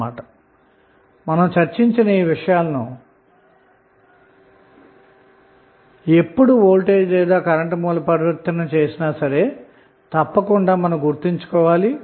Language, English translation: Telugu, So these things which we have discuss we should keep in mind while we do the voltage or current source transformation